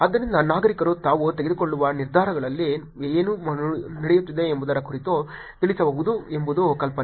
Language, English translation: Kannada, So the idea is that citizens can inform about what is going on in the decisions that they are making